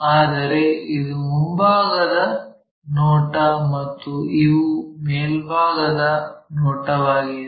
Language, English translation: Kannada, But, this one is front view and this one is top view